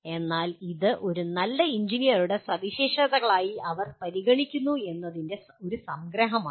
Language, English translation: Malayalam, So this is a kind of a summary of what they consider as the characteristics of a good engineer